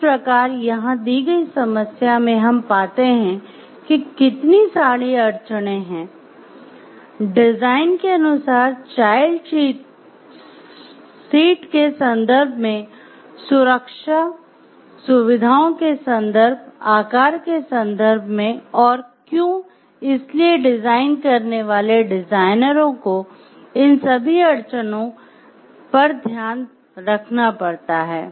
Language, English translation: Hindi, So, here what we find in the problem given there are a number of constraints given, as per how to design their child seat in terms of the use in terms of the safety features that needs to be maintained in terms of like the size and the why designing the designers have to keep all these constraints into mine